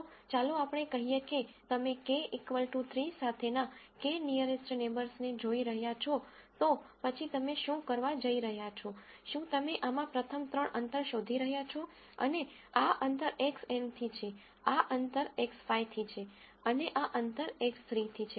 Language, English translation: Gujarati, If let us say you are looking at k nearest neighbors with k equal to 3, then what you are going to do, is you are going to find the first three distances in this and this distance is from X n, this distance is from X 5 and this distance is from X 3